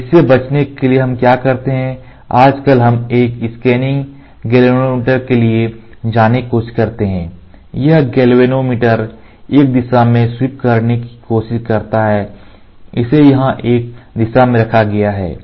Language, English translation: Hindi, So, in order to avoid this what we do is, nowadays we try to go for a scanning galvanometer, this galvanometer tries to sweep in one direction; it is pivoted here in one direction